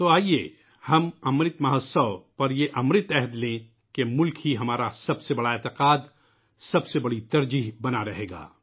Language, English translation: Urdu, Come, on Amrit Mahotsav, let us make a sacred Amrit resolve that the country remains to be our highest faith; our topmost priority